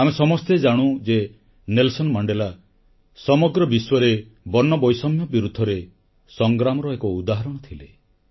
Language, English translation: Odia, We all know that Nelson Mandela was the role model of struggle against racism all over the world and who was the inspiration for Mandela